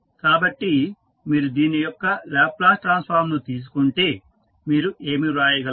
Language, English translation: Telugu, So, if you take the Laplace transform of this, what you can write